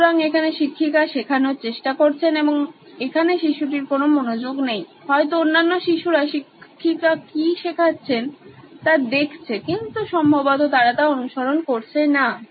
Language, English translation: Bengali, So, here the teacher is trying to teach and the child here is not paying attention, may be the other children are looking at what the teacher is teaching but probably are not following